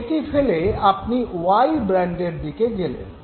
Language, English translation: Bengali, You drop that you go to brand Y